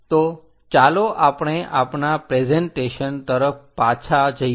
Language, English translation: Gujarati, So, let us go back to our presentation